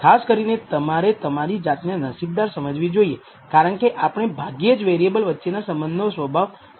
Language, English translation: Gujarati, You should consider yourself fortunate typically because we rarely know the nature of the relationship between variables we are only trying to model them